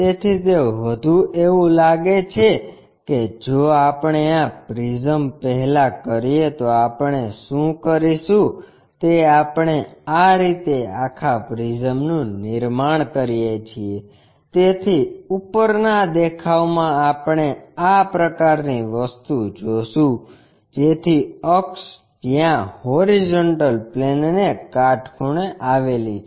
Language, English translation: Gujarati, So, it is more like if we have this if we have this prism first what we will do is we construct in such a way that this entire prism, so in the top view we will see something like such kind of thing, so where axis is perpendicular to HP